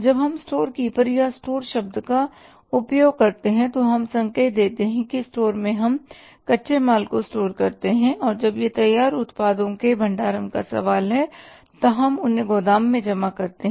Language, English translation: Hindi, When we use the term storekeeper or the store we indicate that in the store we store the raw material and when it is a question of storing the finished products there we store them in the warehouse